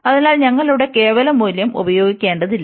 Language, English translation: Malayalam, So, we do not have to use the absolute value here